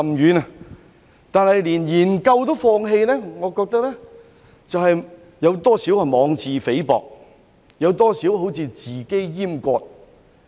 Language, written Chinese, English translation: Cantonese, 然而，連研究也放棄，我認為多少有些妄自菲薄，好像自我閹割。, Yet I find it somewhat self - belittling and like self - castration to give up even the study